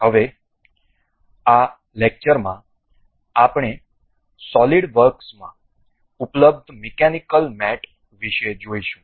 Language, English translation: Gujarati, Now, in this lecture we will go about mechanical mates available in solid works